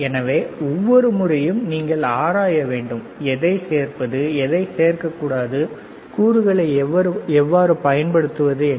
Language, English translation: Tamil, So, every time when you have to do you have to explore, what to add what not to add how to use the components, right